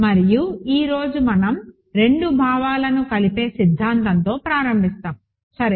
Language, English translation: Telugu, And today we will start with the theorem which connects the two notions, ok